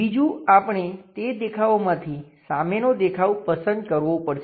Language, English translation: Gujarati, Second, we have to pick the views which one is front view